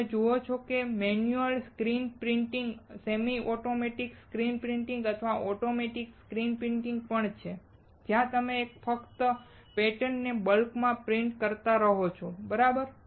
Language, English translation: Gujarati, You see there is manual screen printing, semi automatic screen printing and even automatic screen printing where you just keep printing the patterns in bulk, right